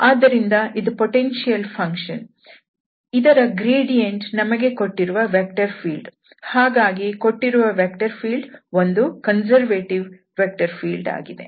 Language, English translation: Kannada, So, this is the potential function whose gradient is the given vector field that means, the given vector field is a conservative vector field